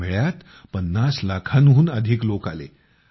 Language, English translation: Marathi, More than 50 lakh people came to this fair